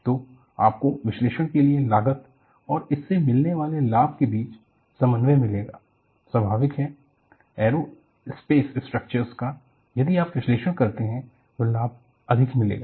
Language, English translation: Hindi, So, you have to have a tradeoff between cost for analysis and the gain you get out of it; obviously, the aerospace structures, if you do the analysis the gain is more